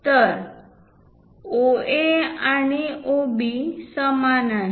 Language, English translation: Marathi, So, AO and OB are equal